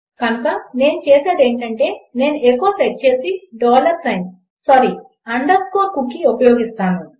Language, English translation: Telugu, So what Ill do is Ill set echo and Ill use a dollar sign, sorry, underscore cookie